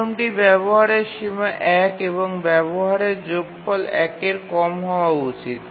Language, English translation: Bengali, The first is that utilization bound one, the sum of utilization should be less than one